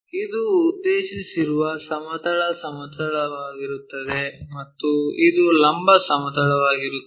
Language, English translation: Kannada, This is the horizontal plane, what we are intended for and this is the vertical plane